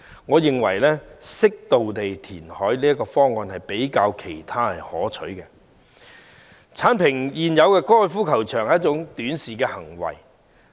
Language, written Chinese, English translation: Cantonese, 我認為適度填海的方案較其他方案可取，而剷平現有高爾夫球場是一種短視行為。, I consider reclamation on an appropriate scale a better option than others whereas bulldozing the existing golf course level is short - sighted . Situated at prime locations the racecourses also cover a vast area